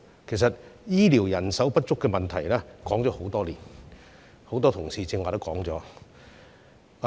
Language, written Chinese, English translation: Cantonese, 事實上，醫療人手不足的問題，已經討論多年，很多同事剛才亦已指出這點。, In fact the shortage of healthcare workers has been discussed for many years as many colleagues have just pointed out